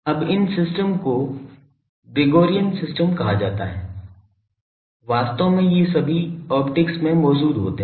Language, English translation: Hindi, Now, these systems are called Gregorian systems actually these are all present in optics